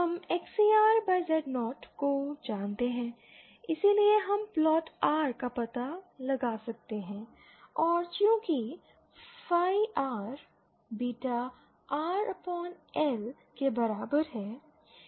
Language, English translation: Hindi, We know XCR upon Z0 so we can plot we can find out phi R and since phi R is equal to beta R upon L